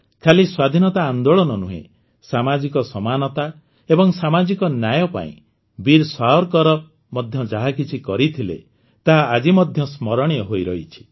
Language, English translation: Odia, Not only the freedom movement, whatever Veer Savarkar did for social equality and social justice is remembered even today